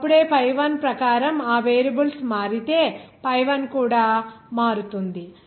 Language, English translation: Telugu, Just then, what will the pi 1 similarly if you change in that variable according to pi1 also change